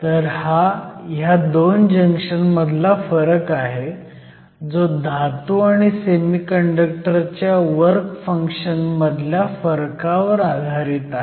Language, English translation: Marathi, So, this difference between these 2 junctions depends upon the difference between the work functions of the metal and the semiconductor